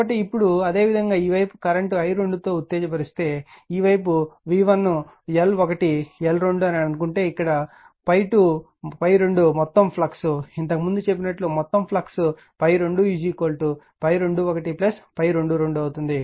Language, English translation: Telugu, So, now similarly if you if you this side this side if you suppose excited by current i 2 and this side it is your v 1 L 1 L 2 d down here also phi 2 is equal to , phi 2 is the total flux same as before phi 2 is the total flux is equal to phi 2 2 plus phi 2 1